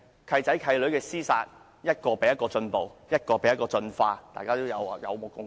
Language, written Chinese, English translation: Cantonese, "契仔"、"契女"之間的廝殺是越來越進步，大家也有目共睹。, As we can see the approaches taken by foster sons and daughters to slay one another is getting more and more violent